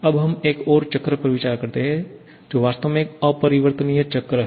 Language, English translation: Hindi, Now, we consider another cycle which is actually an irreversible cycle